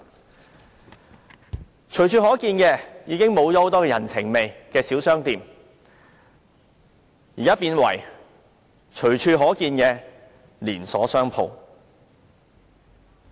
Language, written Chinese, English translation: Cantonese, 很多本來隨處可見、富人情味的小商店已經消失，改為隨處可見的連鎖商店。, Many small shops with a human touch that used to be found everywhere are gone . Rather it is now chain stores that are seen everywhere